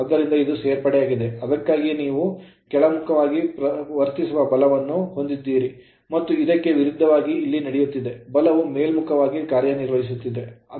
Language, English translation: Kannada, So, finality it is additive that is why it is you are what you call force is acting downwards, and just opposite here the force is acting you are what you call upwards right